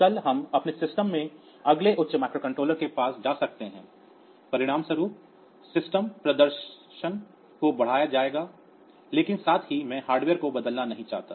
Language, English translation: Hindi, So, tomorrow we can we can we go to the next higher microcontroller in my system as a result the system performance will be enhanced and, but at the same time I do not want to change the hardware that we have too much